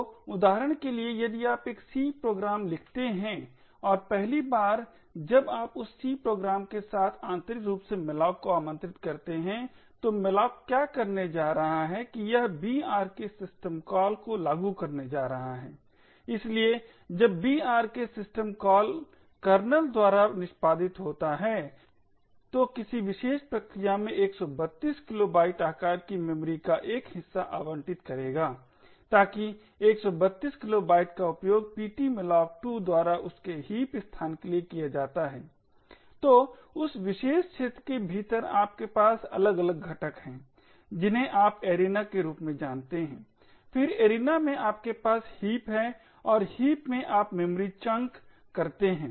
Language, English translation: Hindi, So for example if you write a C program and the 1st time you invoke the malloc call with that C program internally what malloc is going to do is that it is going to invoke the brk system call, so when the brk system call gets executed by the kernel the kernel would allocate a chunk of memory of size 132 kilobytes to the particular process, so that 132 kilobytes is used by the ptmalloc2 for its heap space, so within this particular area you have different components you have something known as Arena, then within the arena you have heaps and within the heaps you memory chunks